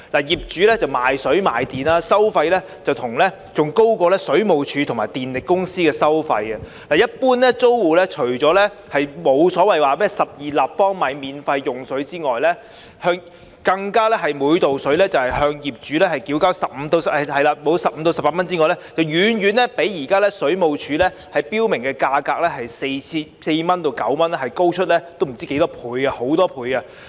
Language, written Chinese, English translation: Cantonese, 業主賣水賣電，收費比水務署和電力公司還高，一般租戶除了首12立方米的用水不會獲免費供應外，更要每立方米食水向業主繳交15元至18元不等，遠遠比水務署現時標明的價格，即4元至9元，高出很多。, Rents aside there are fees for water electricity and other miscellaneous items and the rates they charge for the sale of water and electricity are much higher than those charged by the Water Supplies Department WSD and the power companies . Not only are the tenants generally deprived of the free supply of the first 12 cubic metres of water but are also required to pay their landlords water fees varying from 15 to 18 per cubic metre which are several times higher than the rate of 4 to 9 per cubic metre as specified by WSD